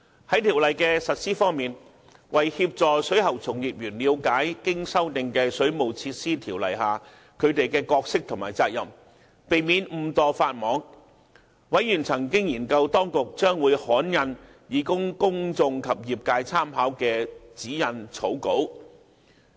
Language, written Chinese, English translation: Cantonese, 在條例的實施方面，為協助水喉從業員了解經修訂的《水務設施條例》下他們的角色和責任，以免誤墮法網，委員曾研究當局將會刊印以供公眾及業界參考的指引草稿。, As regards the implementation of the Ordinance the Bills Committee studied the draft guidelines to be published by the Government for the reference of the public and the trade with a view to helping plumbing practitioners understand their roles and responsibilities under WWO as amended by the Bill so that they would not inadvertently contravene the law